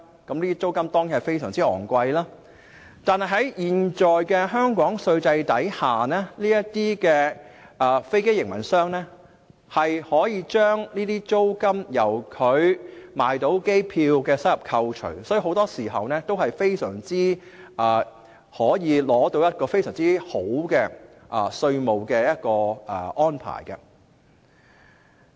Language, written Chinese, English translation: Cantonese, 這些租金當然非常昂貴，但在香港現有的稅制下，這些飛機營運者可以將租金由它售賣機票的收入中扣除，所以很多時候，都可以得到一個非常好的稅務安排。, Of course the rent is expensive but the existing tax regime in Hong Kong allows aircraft operators to deduct such rents from the income they earn from the sale of air tickets . So they can often secure a very good tax arrangement